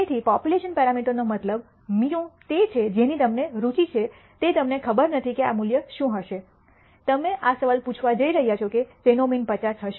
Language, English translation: Gujarati, So, the population parameter mean mu is what is what you are interested in you do not know what this value will be, you are going to ask this question whether that mean is going to be 50